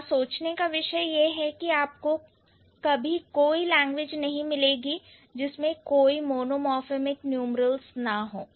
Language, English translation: Hindi, So, the concern here is that you would never find any language which doesn't have any monomorphic numeral